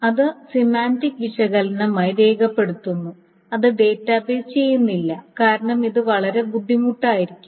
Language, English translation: Malayalam, So then that requires a semantic analysis and which is of course not done by the database because it can be very, very hard as you see